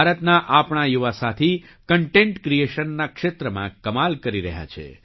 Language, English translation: Gujarati, Our young friends in India are doing wonders in the field of content creation